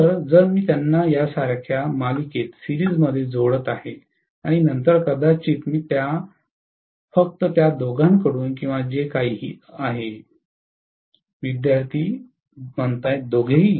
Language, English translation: Marathi, So, if I am connecting them in series addition like this and then I am going to get the output maybe from only both of them or whatever… Both of them